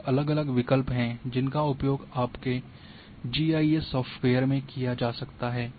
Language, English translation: Hindi, And there are different options are there which can be used in your GIS software